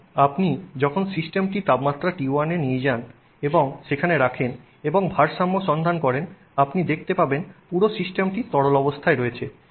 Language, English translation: Bengali, So, when you take the system to the temperature T1 and keep it there and look for equilibrium you will see that the entire system is in liquid state